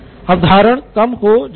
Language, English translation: Hindi, Retention is low